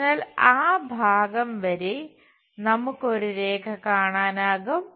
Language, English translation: Malayalam, So, up to that part, we will see a line